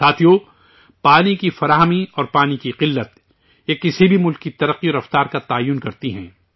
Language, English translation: Urdu, Friends, the availability of water and the scarcity of water, these determine the progress and speed of any country